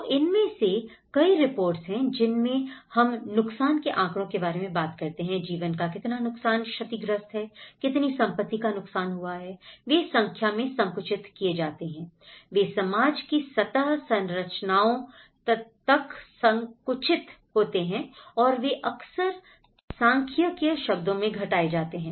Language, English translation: Hindi, So, many of these reports whether we talk about the damage statistics, how much loss of life is damaged, how much property has been damaged, they are narrowed down to the numericals, they are narrowed down to the surface structures of the society and they are often reduced to the statistical terms